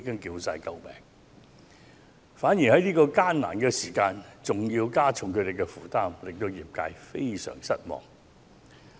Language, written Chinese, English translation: Cantonese, 因此，如果政府在這個艱難的時候還要加重他們的負擔，會使業界相當失望。, Therefore if the Government has to add to their already heavy burden at this difficult moment the industry will be greatly disappointed